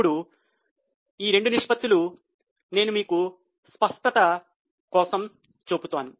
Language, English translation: Telugu, Now both these ratios, I will just show you the ratios for more clarity